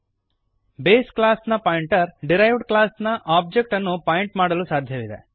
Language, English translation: Kannada, Pointer of base class can point to the object of the derived class